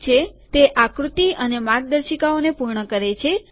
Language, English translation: Gujarati, Alright, that completes the figure and the guidelines